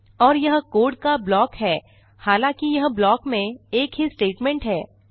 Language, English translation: Hindi, And it is a block of code, although it is only a single statement in the block